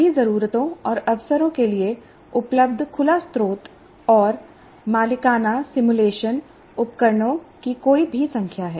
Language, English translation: Hindi, There are any number of open source and proprietary simulation tools available for all needs and occasions